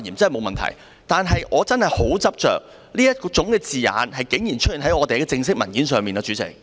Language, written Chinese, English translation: Cantonese, 但是，主席，我真的很執着，這種字眼竟然出現在立法會的正式文件。, But President I am really very insistent about this . How can such wording appear in an official paper of the Legislative Council?